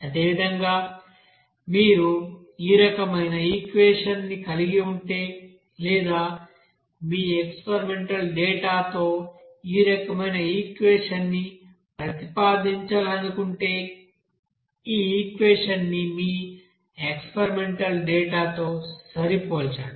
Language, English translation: Telugu, Similarly, suppose if you are having this type of equation or you want to propose this type of equation with your experimental data and fit this equation with your experimental data